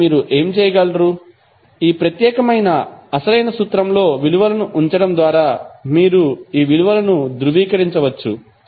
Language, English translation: Telugu, So what you can do, you can verify these values by putting values in this particular original formula